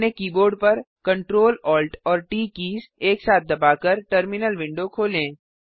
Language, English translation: Hindi, Open the terminal window by pressing Ctrl, Alt and T keys simultaneously